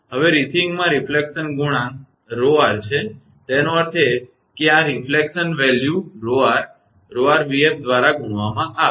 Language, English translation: Gujarati, Now, receiving inside the reflection factor is rho r; that means, this reflection value multiplied by rho r, rho r into v f right